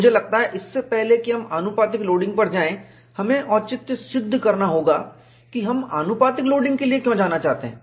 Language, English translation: Hindi, I think, before we go to proportional loading, we have to justify, why we want to go for proportional loading